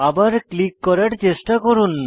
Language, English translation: Bengali, Try to click for the third time